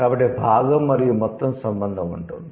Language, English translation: Telugu, So, that the part and whole relation would exist